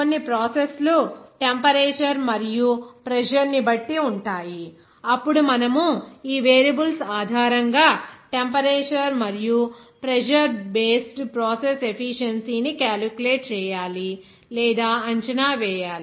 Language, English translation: Telugu, Some processes will be depending on temperature and pressure also, that you have to then calculate or assess that temperature and pressure based process efficiency based on these variables